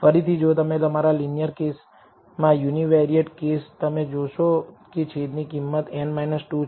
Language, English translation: Gujarati, Again if you go back to your linear case univariate case you will find that the denominator is n minus 2